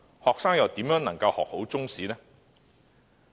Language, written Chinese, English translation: Cantonese, 學生怎能學好中史？, How can students learn Chinese history well?